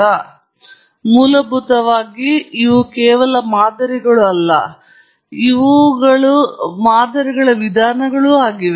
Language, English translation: Kannada, Now, essentially, these are not just models, these are also modelling approaches